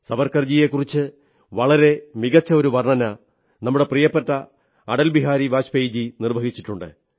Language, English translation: Malayalam, A wonderful account about Savarkarji has been given by our dear honorable Atal Bihari Vajpayee Ji